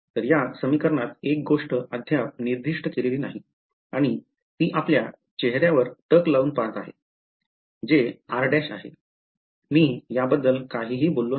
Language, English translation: Marathi, So, in these equation there is one thing that is yet not been specified and that is staring at us in the face which is I did not say anything about r prime right